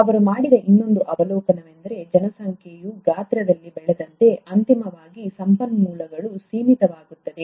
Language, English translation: Kannada, The other observation that he made is that, as a population grows in size, eventually, the resources become limited